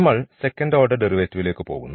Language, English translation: Malayalam, So, we will we go for the second order derivative here